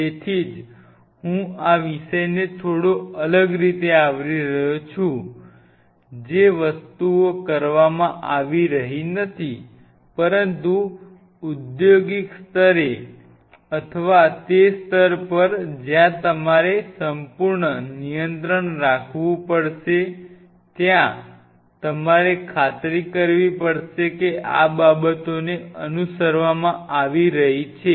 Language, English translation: Gujarati, So, that is why I am kind of covering this topic in a slightly different way the things which are not being done, but at the industry level or at the level where you really have to have a perfect quality control there you have to ensure that these things are being followed